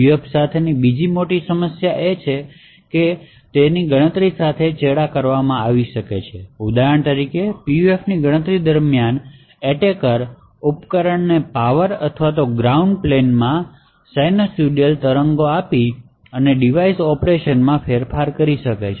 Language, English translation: Gujarati, Another big problem with PUF is that of tampering with a computation for example, during a PUF computation is for instance an attacker is able to actually get hold of the device and manipulate the device operation by say forcing sinusoidal waves in the power or the ground plane then the response from the PUF can be altered